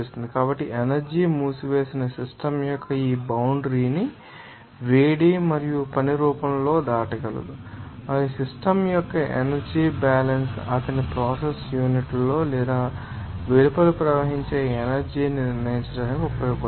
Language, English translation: Telugu, So, energy can cross this boundary of a closed system in the form of heat and work and the energy balance of the system will be used to determine the amount of energy that flows into or out of his process unit